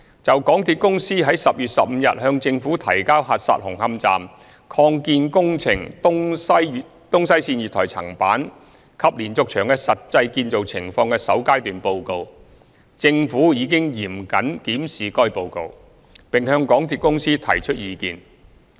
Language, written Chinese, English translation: Cantonese, 就港鐵公司於10月15日向政府提交核實紅磡站擴建工程東西線月台層板及連接牆的實際建造情況的首階段報告，政府已嚴謹檢視該報告，並向港鐵公司提出意見。, Regarding the initial report on the verification of the actual building condition of the East West Line platform slab and diaphragm walls of the Hung Hom Station Extension works submitted to the Government by MTRCL on 15 October the Government has examined the report rigorously and given its suggestions to MTRCL